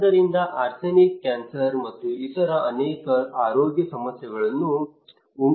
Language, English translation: Kannada, So arsenic can cause cancer and many other health problems